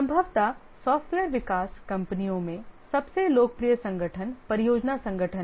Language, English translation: Hindi, Possibly the most popular organization in software development companies is the project organization